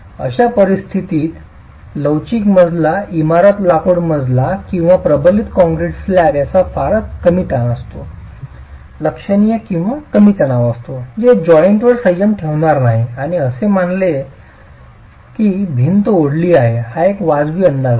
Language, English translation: Marathi, In such a situation the flexible flexible floor, the timber floor or a reinforced concrete slab which has very little bearing stress, significantly low bearing stress, is not going to restrain the joint and assuming that the wall is hinged is a reasonable estimate